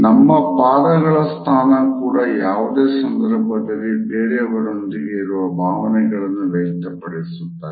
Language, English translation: Kannada, The way we position our feet also reflects our feelings towards other people to whom we happen to be talking to at the moment